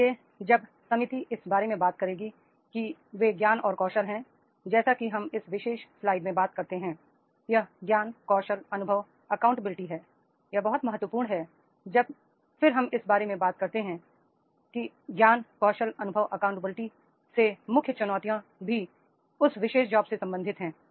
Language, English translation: Hindi, So therefore when the committee will about, that is these knowledge scale as we talk about in this particular previous slide, that is the knowledge, scales, experience, accountability, this is becoming very important, that is whenever we talk about the accountability, the knowledge, skills and experience then and many challenges also with related to that particular job